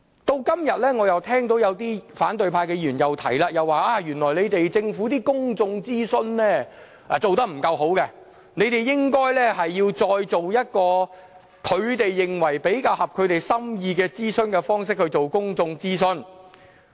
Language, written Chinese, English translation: Cantonese, 到了今天，我又聽到有些反對派議員說政府的公眾諮詢做得不夠好，應該再以他們認為比較符合心意的方式進行公眾諮詢。, Today I heard once again the argument of the deficiencies in the Governments public consultation work . The opposition Members thus called for a redo of the consultation exercise according to their preferred format